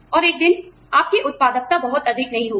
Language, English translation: Hindi, And, one day, you know, your productivity will not be very high